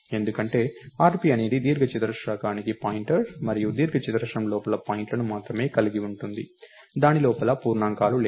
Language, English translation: Telugu, Because, rp is a pointer to a rectangle and rectangle has only points inside, it doesn't have integers inside